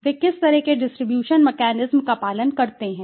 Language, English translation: Hindi, What kind of distribution mechanism they follow